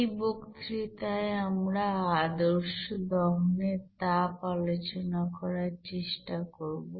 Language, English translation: Bengali, In this lecture we will try to discuss about that standard heat of combustion